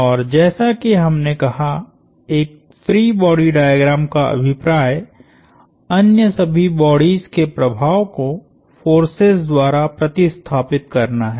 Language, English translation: Hindi, And the idea of a free body diagram like we said is to replace the effect of all other bodies by forces